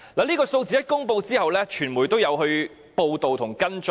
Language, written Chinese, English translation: Cantonese, 這個數字公布後，傳媒也有報道和跟進。, After the figure was made known to the public the media followed up and reported on the matter